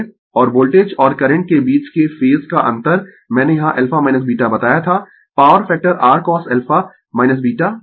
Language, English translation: Hindi, And the phase difference between voltage and current I told you alpha minus beta here the power factor your cos alpha minus beta right